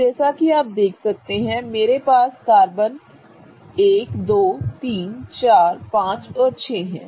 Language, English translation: Hindi, Now as you can see I have these carbon numbers 1, 2, 3, 4, 5 and 6